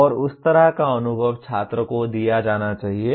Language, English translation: Hindi, And that kind of experience should be given to the student